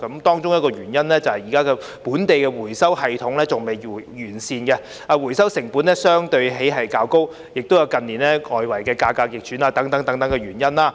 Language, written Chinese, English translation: Cantonese, 當中的原因是，現時本地的回收系統仍未完善，回收成本相對較高，還有近年外圍市場價格逆轉等原因。, The reasons for this among others are the yet - to - be comprehensive local recycling system the relatively high recycling cost as well as the price reversals in external markets in recent years